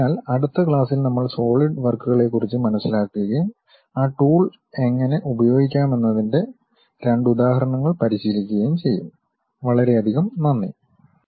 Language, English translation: Malayalam, So, in the next class, we will learn about solid works and practice couple of examples how to use that tool